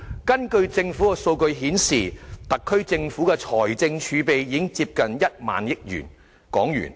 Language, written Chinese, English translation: Cantonese, 根據政府的數據，特區政府的財政儲備已接近1萬億港元。, According to government data the fiscal reserves of the SAR Government stand at nearly 1,000 billion